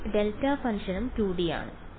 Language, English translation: Malayalam, This delta function also 2D right